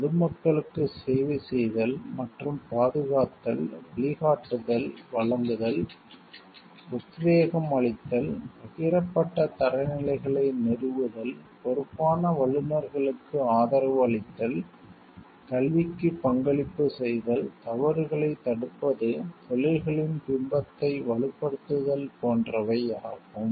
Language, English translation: Tamil, Serving and protecting the public, providing guidance, offering inspiration, establishing shared standards, supporting responsible professionals, contributing to education, deterring wrongdoing, strengthening a professions image